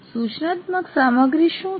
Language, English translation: Gujarati, Now what is instructional material